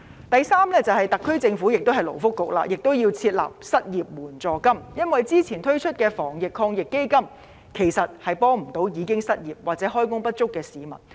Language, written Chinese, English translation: Cantonese, 第三，特區政府——同樣是勞工及福利局——也要設立失業援助金，因為之前推出的防疫抗疫基金措施其實無法幫助已經失業或開工不足的市民。, The third issue is that the SAR Government―it is the Labour and Welfare Bureau again―should set up an unemployment assistance scheme for the measures under the Anti - epidemic Fund AEF introduced earlier in fact cannot help those people who are already unemployed or underemployed